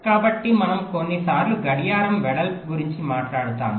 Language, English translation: Telugu, so we sometimes talk about the clock width